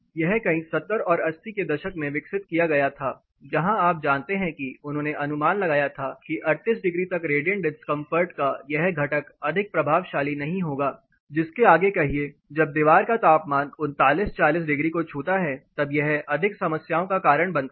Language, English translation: Hindi, This was developed somewhere in the 70’s and 80’s, where you know they have estimated that up to 38 degrees this component of radiant discomfort will not be much impact full beyond which say when the wall temperature touches 39 40 degrees then this going to cause more problems